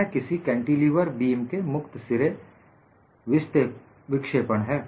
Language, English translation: Hindi, This is a free end deflection of a cantilever beam